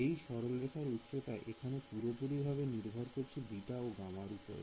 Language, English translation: Bengali, The value of the height of this line over here is fixed purely by beta and gamma